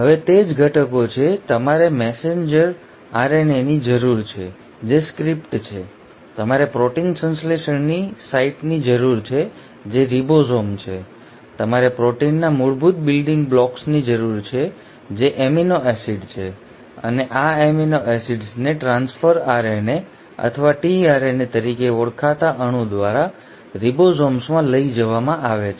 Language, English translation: Gujarati, Now that is what are the ingredients, you need the messenger RNA which is the script, you need the site of protein synthesis which is the ribosome, you need the basic building blocks of proteins which are the amino acids and these amino acids are ferried to the ribosomes by a molecule called as transfer RNA or tRNA